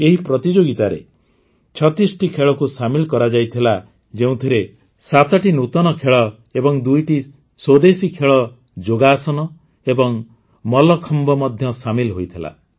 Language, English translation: Odia, 36 sports were included in this, in which, 7 new and two indigenous competitions, Yogasan and Mallakhamb were also included